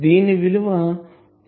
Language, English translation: Telugu, It is 0